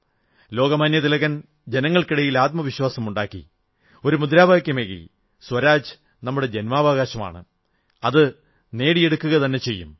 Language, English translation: Malayalam, Lokmanya Tilak evoked self confidence amongst our countrymen and gave the slogan "Swaraj is our birth right and I shall have it